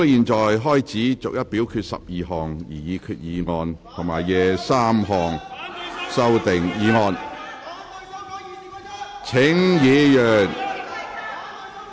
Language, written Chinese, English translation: Cantonese, 本會現在開始逐一表決12項擬議決議案及23項修訂議案。, This Council now proceeds to vote on the 12 proposed resolutions and 23 amending motions one by one